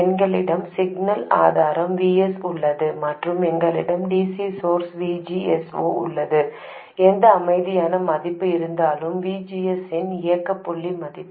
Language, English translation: Tamil, We have the signal source VS and we have the DC source VGS 0, whatever the quiescent value, the operating point value of VGS is